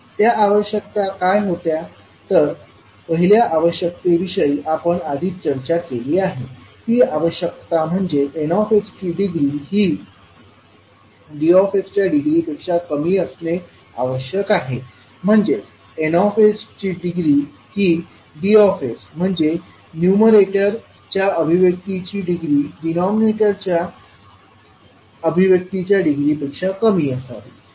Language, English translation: Marathi, What was those requirements, one requirement, which we discuss was the degree of Ns must be less than the degree of Ds, that is degree of numerator expression should be less than the degree of expression in denominator